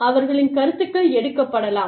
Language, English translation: Tamil, And, their opinions may be taken, may not be taken